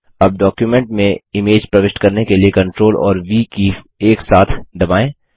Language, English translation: Hindi, Now press CTRL and V keys together to insert the image into the document